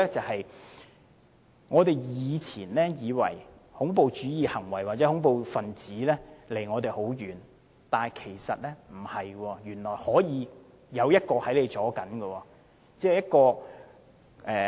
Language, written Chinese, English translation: Cantonese, 第一，我們以前以為恐怖主義行為或恐怖分子離我們很遠，但其實不是，原來可能他們在我們中間。, First although we used to think that terrorist acts were very distant from us they are actually not and terrorists may live among us